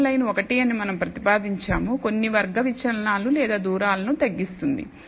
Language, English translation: Telugu, We propose that the best line is 1, which minimizes the deviations some square deviations or the distances